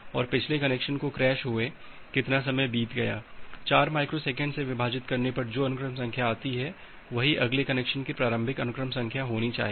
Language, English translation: Hindi, And when the previous connection got crashed how much time has been passed in between, divided by the 4 microsecond that should be the initial sequence number of the next connection